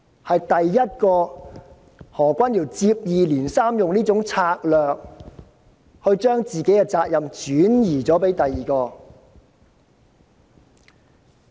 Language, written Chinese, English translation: Cantonese, 何君堯議員接二連三地以此策略把自己的責任轉移他人。, Dr Junius HO applied this tactic time and again to shift his responsibility onto others